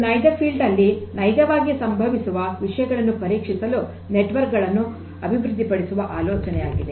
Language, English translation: Kannada, So, the idea of developing this network is to test the things that actually occur in real field